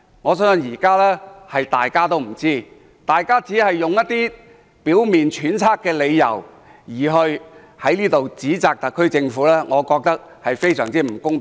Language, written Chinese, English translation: Cantonese, 我相信現在大家都不知道，反對派議員只是用一些表面揣測的理由在此指責特區政府，我覺得非常不公平。, I believe no one knows today . The opposition Members use some speculative reasons to accuse the SAR Government I find this highly unfair